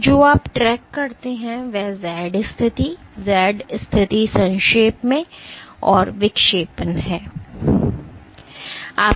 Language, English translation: Hindi, So, what you track is the Z position, Z pos in short and the deflection